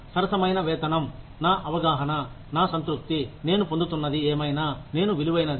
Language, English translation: Telugu, Fair pay is my understanding, my satisfaction, that, whatever I am getting is, whatever I am worth